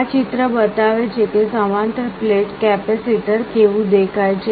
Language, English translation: Gujarati, This diagram shows how a parallel plate capacitor looks like